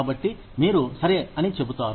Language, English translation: Telugu, So, you say, okay